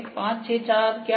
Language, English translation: Hindi, What is 5, 6, 4